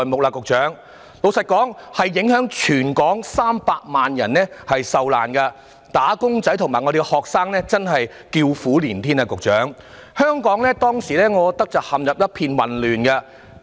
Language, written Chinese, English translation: Cantonese, 老實說，這次影響了全港300萬人受難，"打工仔"及學生真的叫苦連天，局長，我覺得香港當時真是陷入一片混亂。, The incident affected 3 million people in Hong Kong . Workers and students alike suffered . Secretary Hong Kong was in a complete chaos at that time